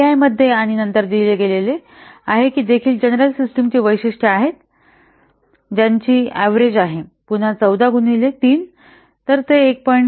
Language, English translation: Marathi, And since it is given that these are also the general system characteristics they are average, so again 14 into 3, so that will be 1